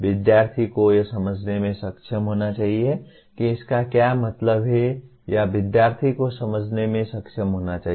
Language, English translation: Hindi, Student should be able to understand what it means or the student should be able to comprehend